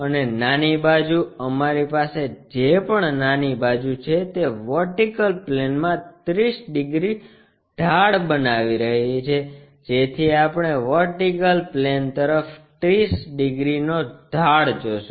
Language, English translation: Gujarati, And small side, whatever the small side we have that is making 30 degrees inclined to vertical plane, so which way we will seeah 30 degrees inclination to vertical plane